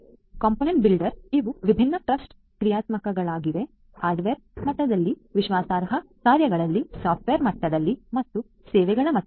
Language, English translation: Kannada, These are the for the component builder these are the different trust functionalities; at the hardware level trust functionalities, at the hardware level, at the software level and the services level